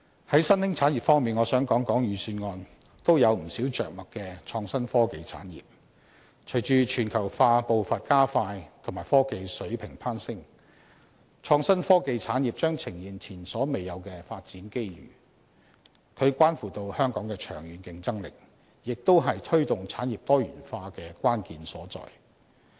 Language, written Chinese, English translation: Cantonese, 在新興產業方面，我想談談預算案均有不少着墨的創新科技產業，隨着全球化步伐加快及科技水平攀升，創新科技產業將呈現前所未有的發展機遇，它關乎香港長遠的競爭力，亦是推動產業多元化的關鍵所在。, As for emergent industries I wish to speak on the IT industry that the Budget has not talked about much . In the wake of the speeding up of globalization and the elevation of technological levels the IT industry is facing unprecedented development opportunities . The IT industry relates to the long - term competitiveness of Hong Kong and it is the key to promoting industrial diversification